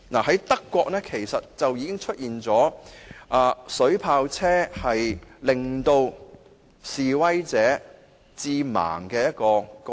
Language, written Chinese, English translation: Cantonese, 在德國，曾有水炮車令示威者致盲的嚴重個案。, In Germany there were serious cases in which protesters were hit blind